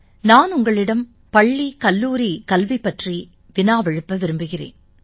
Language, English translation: Tamil, I have a question for you about the school and college education